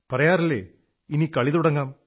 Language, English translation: Malayalam, It is also said, Let the game begin